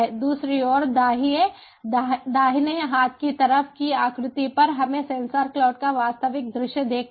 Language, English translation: Hindi, on the other hand, on the right hand side figure we see a the real view of sensor cloud